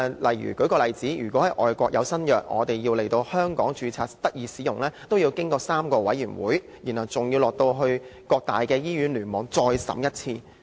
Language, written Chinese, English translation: Cantonese, 舉一個例子，外國新藥要在香港註冊，須先經過3個委員會批准，然後還要到各大醫院聯網再審一次。, For example for an overseas drug item to be registered in Hong Kong it has to seek approval from three committees before being passed to various hospital clusters for vetting and approval